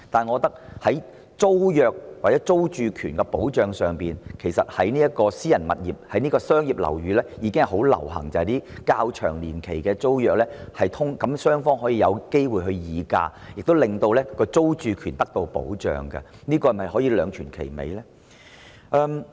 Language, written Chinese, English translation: Cantonese, 我認為在租約或租住權的保障上，其實私人商業樓宇已普遍訂立年期較長的租約，讓雙方有機會議價，亦令租客的租住權得到保障，這是否兩全其美的做法呢？, In my view in terms of the protection of the tenancy agreement or the security of tenure tenancy agreements of longer terms are generally signed for tenancy of private commercial buildings so that both parties can have the opportunity to bargain and the security of tenure for tenants is protected . Is it an approach that can satisfy both parties?